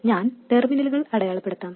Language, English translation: Malayalam, I will mark the terminals